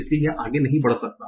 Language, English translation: Hindi, So it cannot move further